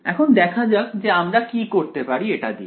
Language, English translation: Bengali, So, let us let see what we can do with this